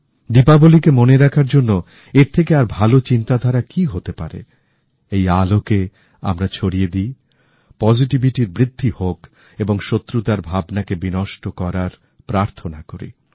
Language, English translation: Bengali, To make this Diwali memorable, what could be a better way than an attempt to let light spread its radiance, encouraging positivity, with a prayer to quell the feeling of animosity